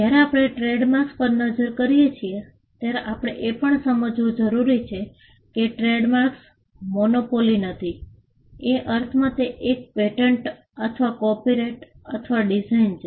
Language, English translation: Gujarati, When we look at trademarks, we also need to understand that trademarks are not a monopoly, in the sense that patents or copyright or designs are